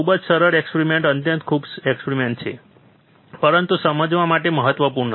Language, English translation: Gujarati, Very easy experiment, extremely basic experiment, but important to understand